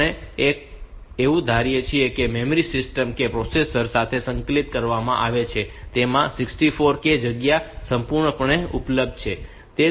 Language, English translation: Gujarati, We assume that the memory system that has that has been integrated with the processor, it has got 64 k space fully available